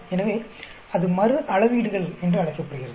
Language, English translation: Tamil, So, that is called repeated measurements